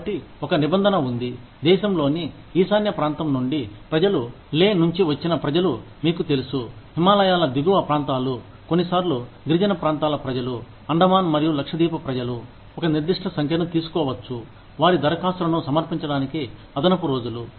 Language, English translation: Telugu, So, there is a clause, that people from the north eastern region of the country, people from Leh, you know, upper reaches of the Himalayas, sometimes people from tribal areas, people from the Andamans and Lakshadweep, can take a certain number of days, extra, to submit their applications